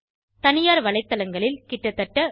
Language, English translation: Tamil, Private websites are more expensive about Rs